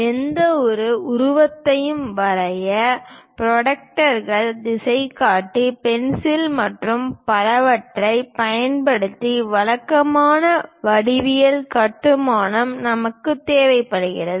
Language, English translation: Tamil, To draw any figure, we require typical geometrical construction using protractors compass pencil and so on things